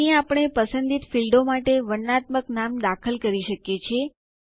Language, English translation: Gujarati, This is where we can enter descriptive names for the selected fields